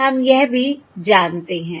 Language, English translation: Hindi, alright, We know that also